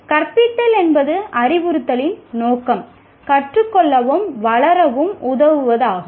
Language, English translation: Tamil, Instruction, the purpose of instruction is to help learn and develop